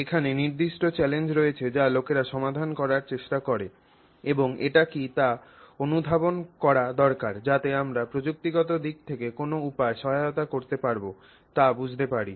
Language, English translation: Bengali, So, there are specific challenges that people try to address and we need to get a sense of what it is so that we understand in what manner we can you know assist it in a technological sense